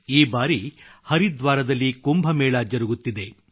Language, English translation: Kannada, This time, in Haridwar, KUMBH too is being held